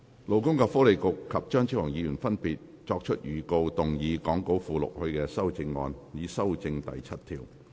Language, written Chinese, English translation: Cantonese, 勞工及福利局局長及張超雄議員已分別作出預告，動議講稿附錄他們的修正案，以修正第7條。, The Secretary for Labour and Welfare and Dr Fernando CHEUNG have respectively given notice to move their amendments to amend clause 7 as set out in the Appendix to the Script